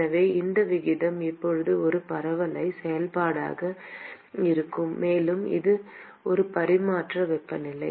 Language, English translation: Tamil, So, this ratio is now going to be a parabolic function; and this is a non dimensional temperature